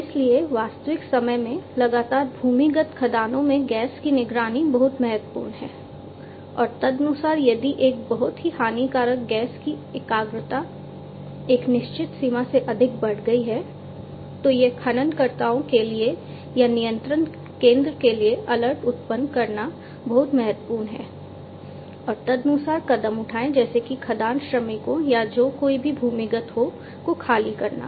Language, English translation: Hindi, So, gas monitoring under in the underground mines continuously in real time is very important and accordingly if the concentration of a very harmful gas has increased beyond a certain threshold or a limit, then it is very important to generate alerts for the mineworkers or at the control centre and accordingly take steps such as, evacuate the mine workers or whoever is there underground